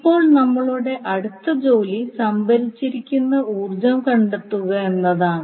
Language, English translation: Malayalam, Now the next task is that to find the energy stored, we have to calculate the value of current